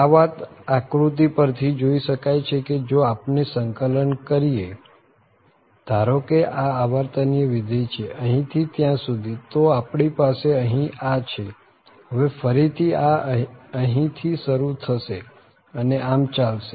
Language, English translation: Gujarati, This is this can be visualize from this figure so if we are integrating suppose this is a periodic function here from here to this then we have this here and then again this starts from here and so on